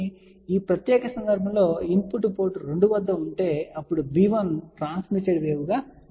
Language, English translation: Telugu, So, in this particular case if the input is at port 2, then b 1 becomes transmitted wave